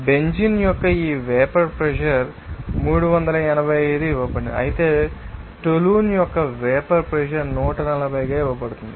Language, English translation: Telugu, This vapour pressure of the benzene is given 385 whereas vapour pressure of toluene is given a 140